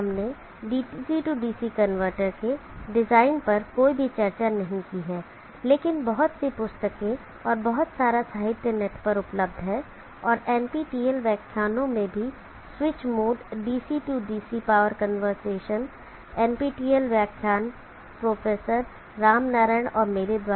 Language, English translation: Hindi, I have not discussed anything on the design of the DC DC converter, but there are host of books and lot of literature available in the net and also NPTEL lectures which is more DC DC power conversation, NPTEL lectures by Prof